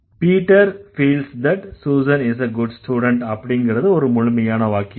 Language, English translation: Tamil, Peter feels that Susan is a good student is another complete sentence